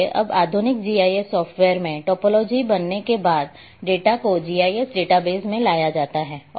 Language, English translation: Hindi, So, now in modern GIS software’s the topology is a once created you bring the data into the GIS database